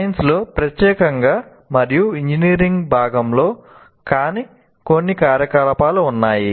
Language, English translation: Telugu, There are some activities which are exclusively in science and they are not as a part of engineering